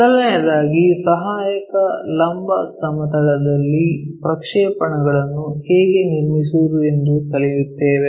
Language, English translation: Kannada, First of all we will learn how to construct projection onto auxiliary vertical plane